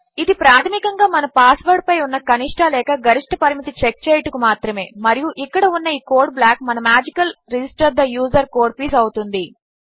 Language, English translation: Telugu, This is basically for checking a minimum or maximum limit on our password and this block of code here is will be our magical register the user piece of code